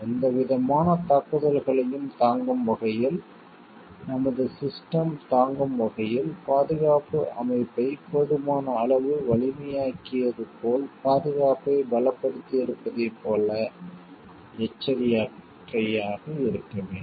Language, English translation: Tamil, We have to be like cautious about have we made the security strong enough have we made the security system strong enough, so that we can withstand our system can withstand any sort of attack